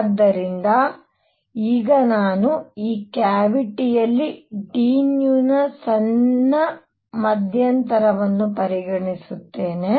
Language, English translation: Kannada, So, now I consider in this cavity a small interval of d nu